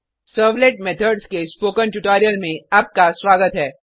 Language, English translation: Hindi, Welcome to the spoken tutorial on Servlet Methods